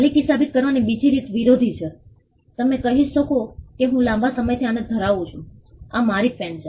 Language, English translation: Gujarati, The other way to prove ownership is opposition, you could say that I have been possessing this for a long time, this is my pen